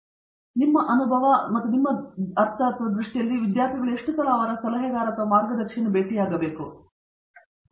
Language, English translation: Kannada, In this context I mean in your experience and your view, how often should students be meeting their advisor or guide and how does that know come out come out in play